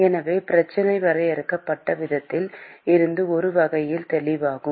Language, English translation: Tamil, So, that is sort of obvious from the way the problem has been defined